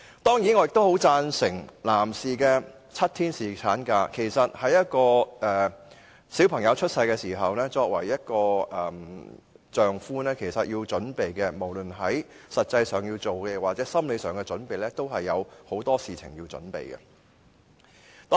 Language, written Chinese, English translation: Cantonese, 當然，我也十分贊成男士的7天侍產假的建議，因為在孩子出生時，作為一名丈夫，無論是在實際上或心理上，也有很多事情要準備的。, Certainly I fully agree with the proposal for providing seven - day paternity leave to male employees . After all as a husband a man has to get himself prepared practically and psychologically on various issues